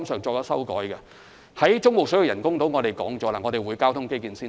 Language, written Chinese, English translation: Cantonese, 就中部水域人工島來說，政府已表明交通基建先行。, For the artificial islands in the Central Waters the Government has made it clear that transport infrastructure will first be built